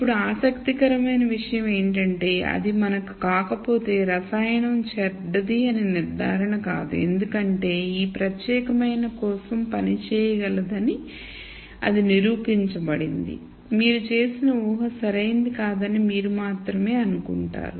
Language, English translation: Telugu, Now, the interesting thing is if it does not for us then the conclusion is not that the chemical is bad because that is been provably shown to work for this particular case, you would only assume that the assumption that you made is not right